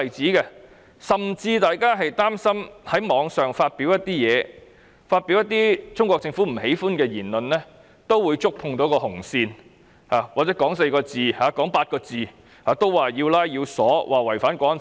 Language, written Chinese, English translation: Cantonese, 市民甚至擔心在網絡上發表一些貼文或一些中國政府不喜的言論會觸碰到紅線，或者說某4個或8個字會被拘捕，被指違犯《港區國安法》。, Members of the public are even worried that publishing online some posts or comments that the Chinese Government does not like will hit the red line; or saying certain four or eight words will lead to arrest and accusation of violating the National Security Law